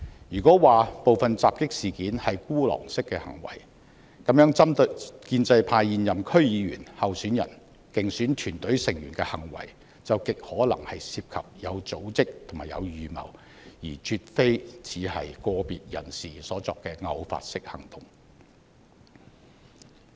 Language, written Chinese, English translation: Cantonese, 如果說部分襲擊事件是孤狼式的行為，那麼針對建制派現任區議員、候選人、競選團隊成員的行為，就極可能有組織和有預謀，而絕非只是個別人士所作的偶發式行動。, If some of the attacks were lone - wolf incidents then the attacks on pro - establishment incumbent DC members candidates and electioneering team members were most probably organized and premeditated rather than one - off actions committed by individuals